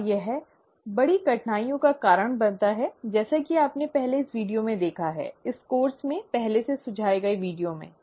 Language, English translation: Hindi, And this causes major difficulties as you have already seen in an earlier video, in an earlier recommended video in this course